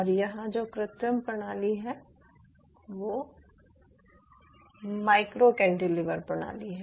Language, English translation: Hindi, and in vitro culture system out here is micro cantilever system